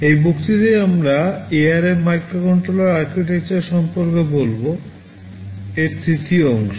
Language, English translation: Bengali, In this lecture we shall be talking about the Architecture of ARM Microcontroller, the third part of it